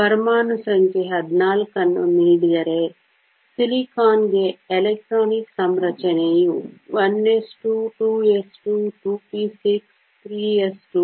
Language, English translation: Kannada, Given the atomic number is 14, the electronic configuration for silicon is 1 s 2 2 s 2 2 p 6 3 s 2 3 p 6